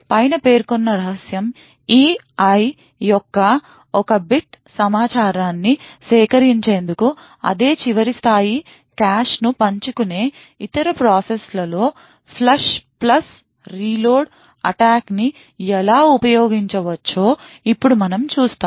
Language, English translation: Telugu, Now we will see how in other process which shares the same last level cache could use the flush plus reload attack in order to extract one bit of information above the secret E I